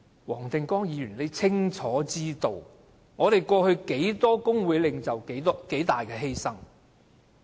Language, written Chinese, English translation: Cantonese, 黃定光議員應清楚知道，過去多少工會領袖作出多大犧牲。, Mr WONG Ting - kwong should know very clearly the sacrifice made by many trade union leaders in the past